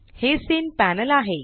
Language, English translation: Marathi, This is the scene panel